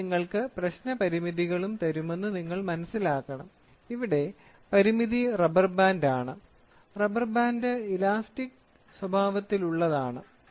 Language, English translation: Malayalam, So, you should understand I will also give you the problem constraints, constrain is rubber band; rubber band is elastic in nature